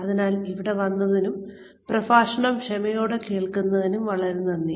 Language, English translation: Malayalam, So, thank you very much, for being here, and listening patiently to the lecture